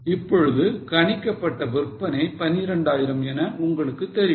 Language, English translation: Tamil, Now you know that estimated sales are 12,000